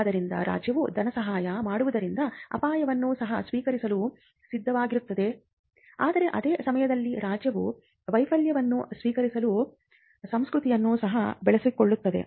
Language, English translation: Kannada, So, the state by its funding takes the risk that they could be nothing that comes out of this, but at the same time the state sets the culture of embracing failure